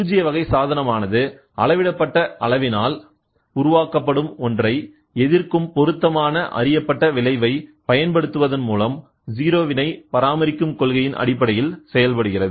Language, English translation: Tamil, So, you can also have a null type device working on the principle of maintaining a 0 deflection by applying an appropriate known effect that opposes the one generated by the measured quantity